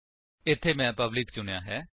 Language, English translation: Punjabi, Here I have selected public